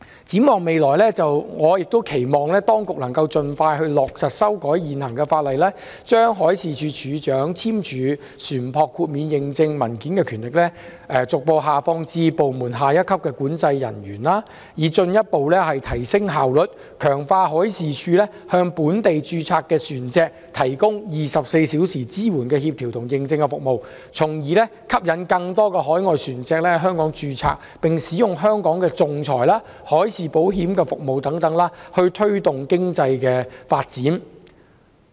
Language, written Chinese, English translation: Cantonese, 展望未來，我期望當局能盡快落實修改現行法例，將海事處處長簽署船舶豁免認證文件的權力，逐步下放至部門下一級管制人員，以進一步提升效率，強化海事處向本地註冊船隻提供24小時支援的協調和認證服務，從而吸引更多海外船隻在香港註冊，並使用香港的仲裁、海事保險等服務，推動本地經濟的發展。, Looking ahead I expect the authorities to promptly amend the existing legislation to facilitate the delegation of the power of the Director of Marine to sign certificates of exemption to controlling officers at the next rank in the Marine Department to further enhance efficiency . This will strengthen the Departments around - the - clock support coordination and certification services provided to locally registered vessels . With these support and services more overseas vessels will be attracted to register in Hong Kong and use Hong Kongs arbitration and marine insurance services thereby fostering the development of the local economy